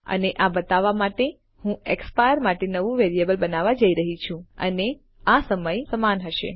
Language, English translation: Gujarati, And to represent this I am going to create a variable called exp for expire and this will be equal to the time